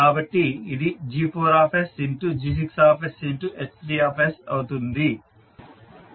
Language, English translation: Telugu, So this will become G4s into G6s into H2s